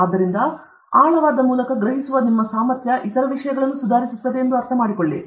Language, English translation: Kannada, So, through the depth, your ability to perceive, understand other things will improve